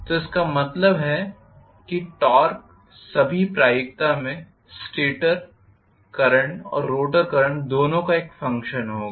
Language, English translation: Hindi, So that means torque will be in all probability a function of both stator current and rotor current